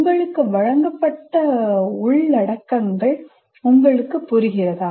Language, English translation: Tamil, Do you understand the contents that are presented to you